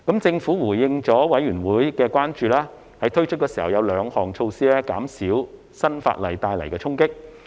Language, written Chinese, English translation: Cantonese, 政府回應了法案委員會的關注，在推出時會有兩項措施減少新法例帶來的衝擊。, The Government has addressed the concerns of the Bills Committee by introducing two measures to reduce the impact of the new legislation at the time of implementation